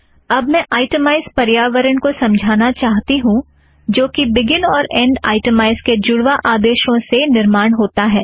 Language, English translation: Hindi, I now want to explain the itemize environment which is created with a pair of begin and end itemize commands